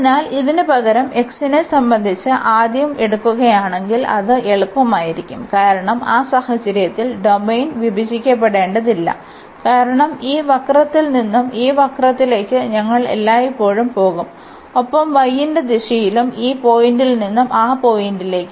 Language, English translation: Malayalam, So, instead of this if we take first with respect to x that will be easier, because we do not have to break the domain in that case we will go from this curve to this curve always and in the direction of y from this point to that point